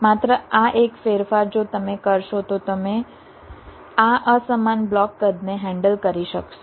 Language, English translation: Gujarati, just this one change if you make, then you will be able to handle this unequal block sizes